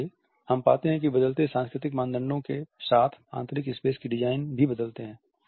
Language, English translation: Hindi, So, we find that with changing cultural norms the interior space designs also change